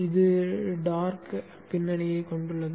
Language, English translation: Tamil, This is having a dark background